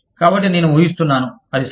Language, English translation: Telugu, So, i am guessing, it is okay